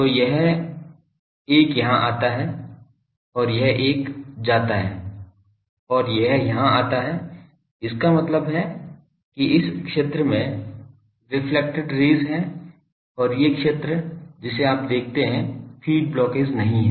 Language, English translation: Hindi, So, this one comes here and this one goes and that comes here so, that means, the reflected rays only in the this zone and these zone you see the feed is not blocking